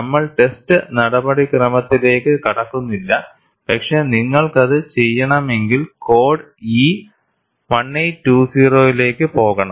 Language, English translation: Malayalam, We are not getting into the test procedure, but we at least know, if you want to do that, go to code E 1820